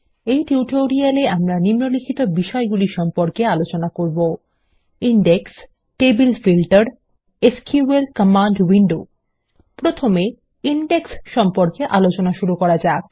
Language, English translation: Bengali, In this tutorial, we will learn the following topics: Indexes Table Filter And the SQL Command window Let us first learn about Indexes